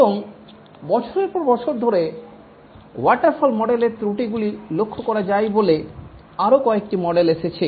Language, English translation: Bengali, And over the years, few more models came up as the shortcomings of the waterfall model were noticed